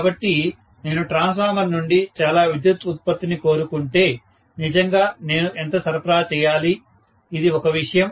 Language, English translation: Telugu, So, if I want so much of power output from the transformer, really how much should I be supplying, this is one thing